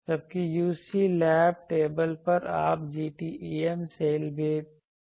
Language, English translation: Hindi, Whereas, this is on a UC lab table you can also have a GTEM cell